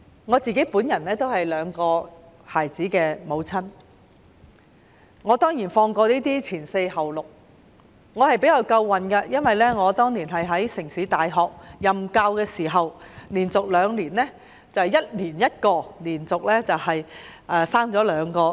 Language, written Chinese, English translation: Cantonese, 我是兩個孩子的母親，我曾放取"前四後六"的產假，我比較幸運，當年懷孕時在城市大學任教，我連續兩年懷孕 ，1 年生1個孩子，連續生了兩個。, I was fortunate that when I was pregnant I was teaching at the City University of Hong Kong . I was pregnant for two consecutive years . I had one baby each year for two years